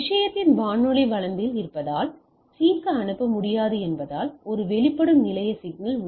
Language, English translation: Tamil, And because it is in the radio range of the thing and then it cannot sends to C so, this is a exposed station problem